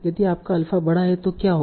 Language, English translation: Hindi, If your alpha is large, what will happen